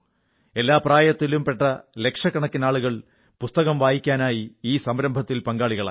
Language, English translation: Malayalam, Participants hailing from every age group in lakhs, participated in this campaign to read books